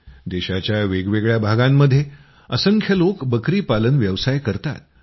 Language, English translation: Marathi, Many people in different areas of the country are also associated with goat rearing